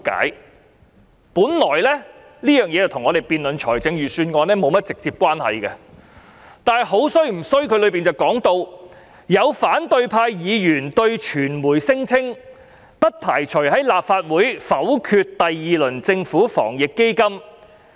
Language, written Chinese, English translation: Cantonese, 這本來與我們辯論財政預算案沒有直接關係，但當中談到"有反對派議員對媒體聲稱，不排除在立法會否決第二輪政府防疫抗疫基金。, This should have no direct relevance to our discussion of the Budget except the following comments in the press release some opposition Members told the media that they would not exclude the possibility of vetoing the second round of the Anti - epidemic Fund